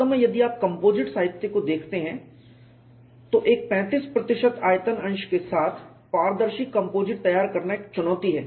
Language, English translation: Hindi, In fact, if it look at composite literature, preparing a composite which is transparent with 35 percent volume, fraction is a challenge